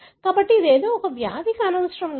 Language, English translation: Telugu, So, this need not be something a disease